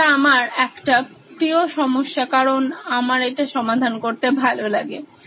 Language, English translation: Bengali, One of my favourite problems because I love to solve this problem